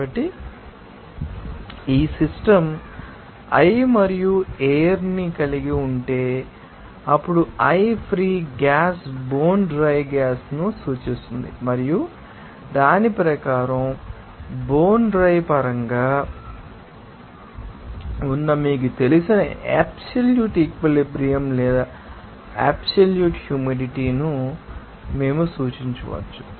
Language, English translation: Telugu, So, if the system consisted of a species i and air, then i free gas refers to the bone dry gas and according to that, we can represent that absolute you know, saturation or absolute humidity that is in terms of bone dry gas properties